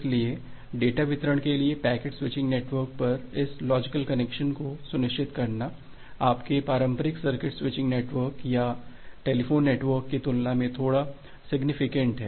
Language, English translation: Hindi, So, that is why ensuring this logical connection at a packet switching network, for data delivery, is little bit non trivial compare to what is being used in case of your traditional circuit switching network or in the telephone network